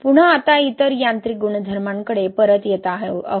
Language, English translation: Marathi, Again, now coming back to other mechanical properties